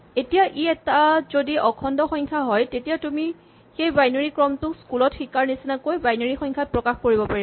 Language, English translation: Assamese, Now, if this happens to be an integer you can just treat that binary sequence as a binary number as you would have learnt in school